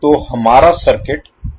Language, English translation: Hindi, So, how our circuit will look like